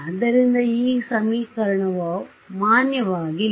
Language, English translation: Kannada, So, this equation is not valid